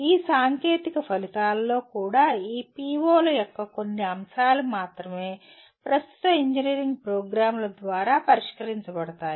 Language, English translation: Telugu, And even in this technical outcomes, we further noted that only some elements of these POs are addressed by the present day engineering programs